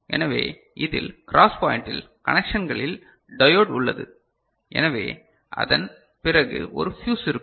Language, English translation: Tamil, So, in this, at the cross point the connections that you are saying say diode is there, so, after that there will be a fuse ok